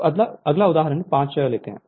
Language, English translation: Hindi, So, next is example 5